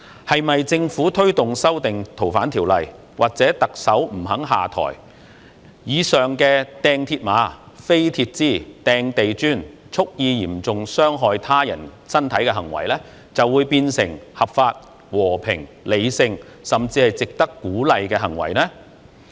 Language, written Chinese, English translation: Cantonese, 是否政府推動修訂《逃犯條例》或特首不肯下台，以上擲鐵馬、擲鐵枝、擲地磚、蓄意嚴重傷害他人身體的行為就會變成合法、和平、理性，甚至是值得鼓勵呢？, The Governments promotion of the amendments to FOO or the Chief Executives refusal to step down will not make the said acts of hurling mills barriers metal bars and bricks and deliberately inflicting grievous bodily harm lawful peaceful rational and even worthy of encouragement will it?